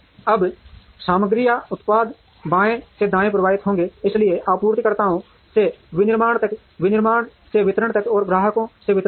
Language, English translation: Hindi, Now, the material or product will flow from left to right, so from the suppliers to manufacturing, from manufacturing to distribution, and from distribution to the customers